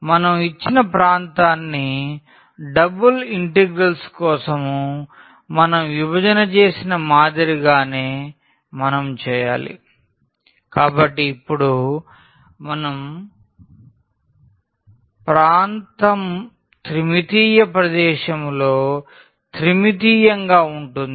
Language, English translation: Telugu, So, we need to similar to what we have done for the double integrals we divide the given region so now, our region will be a 3 dimensional in the 3 dimensional space